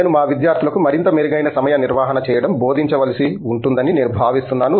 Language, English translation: Telugu, I think this we have to inculcate in our students to do a much better time management